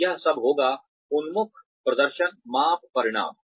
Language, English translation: Hindi, So, all of this would be, results oriented performance measurement